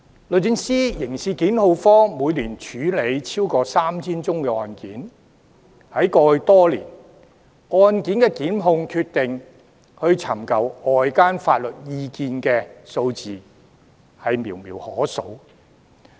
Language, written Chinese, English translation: Cantonese, 律政司刑事檢控科每年處理超過 3,000 宗案件，在過去多年，就案件的檢控決定尋求外間法律意見的數字寥寥可數。, The DoJs Prosecutions Division handles more than 3 000 cases a year and over the years it has only sought outside legal advice a few times in relation to its prosecutorial decisions